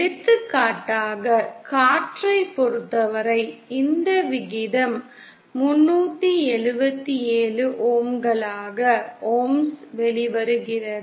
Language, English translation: Tamil, For example for air this ratio comes out to be 377 ohms